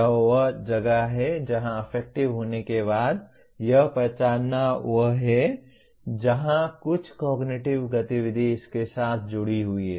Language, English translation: Hindi, This is where after emoting, recognizing this is where some cognitive activity is associated with that